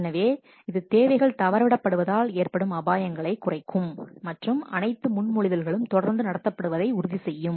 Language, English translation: Tamil, So, this will reduce the risk of requirements being missed and ensures that all proposals are treated consistently